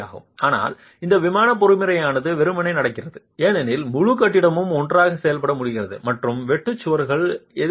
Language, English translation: Tamil, But that in plain mechanism is happening simply because the whole building is able to act as one and the shear walls are resisting